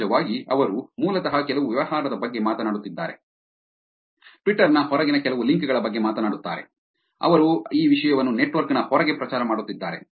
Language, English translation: Kannada, Of course, they are basically talking about some business, talking about some links that are outside twitter, outside the network that they are promoting this content